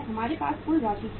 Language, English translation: Hindi, We had the total amount